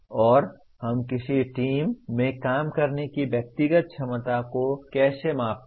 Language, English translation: Hindi, And but how do we measure the individual’s ability to work in a team